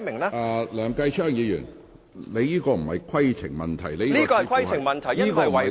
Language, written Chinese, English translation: Cantonese, 梁繼昌議員，你所提述的並非規程問題。, Mr Kenneth LEUNG what you said is not a point of order